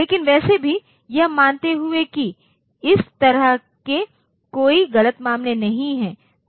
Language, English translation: Hindi, But anyway assuming that there is there is no such erroneous cases